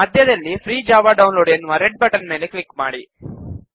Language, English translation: Kannada, Click on the Red button in the centre that says Free Java Download